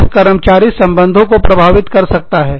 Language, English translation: Hindi, It can affect, employee relations